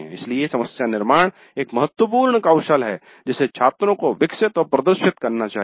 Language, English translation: Hindi, So the problem formulation is an important skill that the students must develop and demonstrate